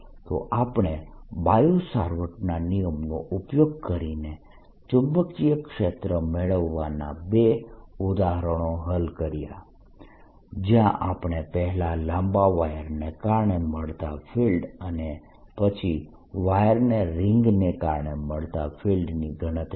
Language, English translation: Gujarati, so we have to solve two examples of getting magnetic field using bio savart's law, where we calculate: one, the field due to a long wire and two, the field due to a ring of wire